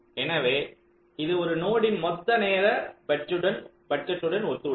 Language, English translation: Tamil, so this corresponds to the total timing budget of that node